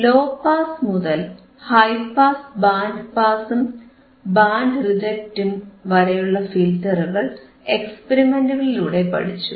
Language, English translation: Malayalam, And we have seen the filters right from low pass to high pass, to band pass, to band reject right with experiments, with experiments all right